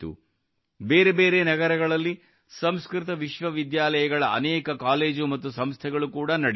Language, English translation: Kannada, Many colleges and institutes of Sanskrit universities are also being run in different cities